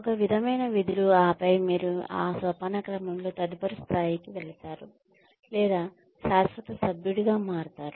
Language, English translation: Telugu, One set of duties, and then, you move on to the next level in that hierarchy, or become a permanent member